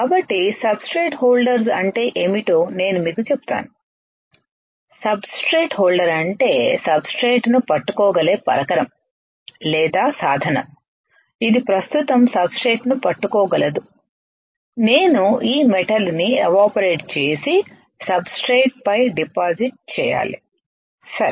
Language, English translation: Telugu, So, I will tell you what are substrate holders I will show it to you substrate holder is the is the equipment or a tool that can hold the substrate, that can hold the substrate right now I have to evaporate this metal right and deposit on these substrates right